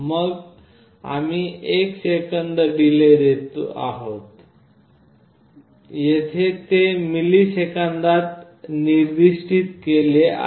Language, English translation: Marathi, Then we are giving a delay of one second, here it is specified in millisecond